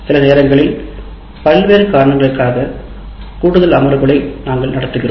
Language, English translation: Tamil, And sometimes we conduct additional sessions for various reasons